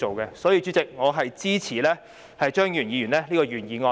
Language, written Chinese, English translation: Cantonese, 所以，代理主席，我支持張宇人議員的原議案。, Therefore Deputy President I support Mr Tommy CHEUNGs original motion